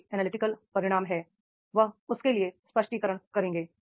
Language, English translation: Hindi, Whatever the results are there, analytical results are there, he will make the explanations for that